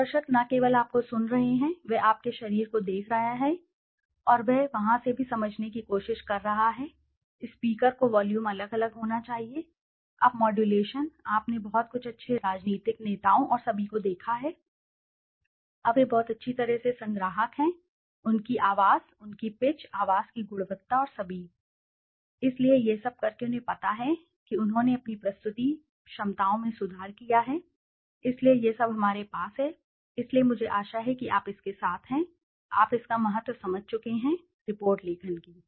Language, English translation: Hindi, And the audience is not only listening to you he is looking at your body and he is trying to understand from there also, the speaker should vary the volume, now modulation, you have seen some very good leaders, political leaders and all, now they are very nicely modulated, their voice, their pitch, the voice quality and all, so by doing all this they know they have improved their presentation abilities, so this is all we have so I hope you are through with, you have understood the importance of report writing